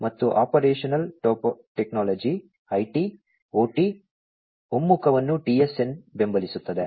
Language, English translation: Kannada, And, the Operational Technology IT, OT, convergence is supported by TSN